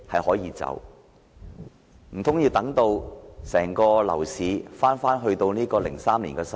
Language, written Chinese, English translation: Cantonese, 難道要等樓市返回2003年的情況？, Are we going to wait till the property market gets back on the track of 2003?